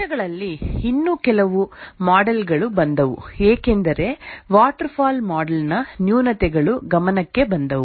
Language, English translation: Kannada, And over the years, few more models came up as the shortcomings of the waterfall model were noticed